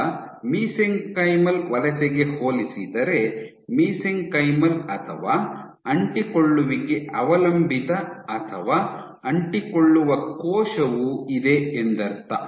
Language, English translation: Kannada, Now, compared to Mesenchymal Migration, you have mesenchymal or adhesion dependent or adherent